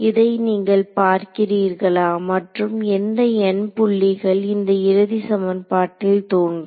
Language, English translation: Tamil, Can you look at this and say which all n points will appear in the final equation ok